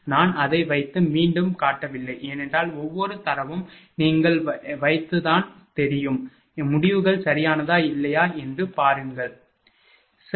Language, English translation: Tamil, I did not put and showed it again because, every data is known just you put it and see that whether results are correct or not, right